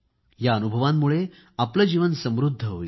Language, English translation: Marathi, These experiences will enrich your lives